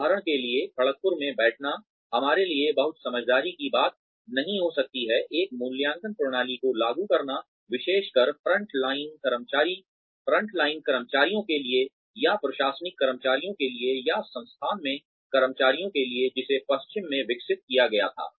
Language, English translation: Hindi, For example, sitting in Kharagpur, it may not be very wise for us, to implement an appraisal system, that was developed in the west, especially for the front line staff, or for the administrative staff, or for the staff in the institute